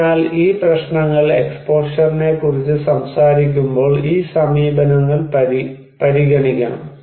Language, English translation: Malayalam, So, these issues, these approaches should be considered when we are talking about exposure